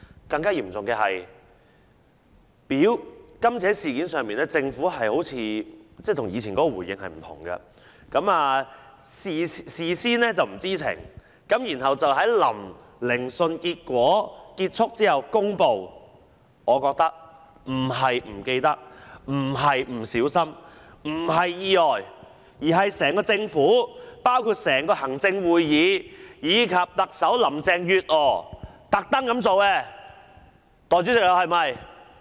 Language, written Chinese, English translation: Cantonese, 更嚴重的是，在今次事件上，政府的回應好像與以往不同，政府事先不知情，但卻在聆訊結束後公布，我覺得不是忘記了、不是不小心、不是意外，而是整個政府包括行政會議及特首林鄭月娥故意這樣做。, The Government was unaware of it initially but made an announcement after the end of the hearings . I think it is not the case that the Government had forgotten it or it had been absent - minded; nor was it an unexpected accident . Rather it is done deliberately by the entire Government including the Executive Council and Chief Executive Carrie LAM